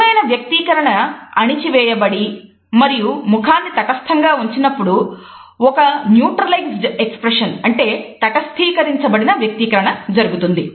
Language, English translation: Telugu, A neutralized expression occurs when a genuine expression is suppressed and the face remains, otherwise neutral